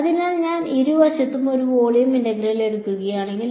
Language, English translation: Malayalam, So, if I take a volume integral on both sides